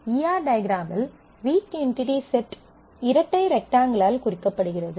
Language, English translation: Tamil, In the E R diagram, a weak entity set is represented by a double rectangle